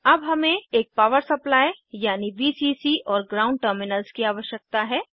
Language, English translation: Hindi, Now we need a power supply i.e.Vcc and Ground terminals